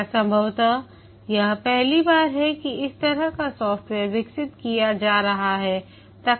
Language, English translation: Hindi, It's possibly the first time that this kind of software is being developed